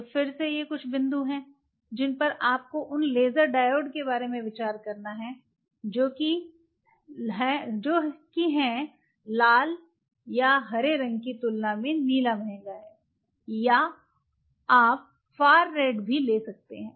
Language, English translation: Hindi, So, again these are some of the points what you have, to consider those laser diodes which are therefore, the blue is costly as compared to red or green or you may even go for a far raid